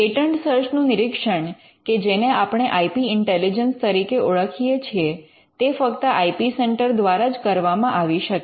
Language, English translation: Gujarati, Patent search screening or what we can even call as IP intelligence is something which can only be done by an IP centre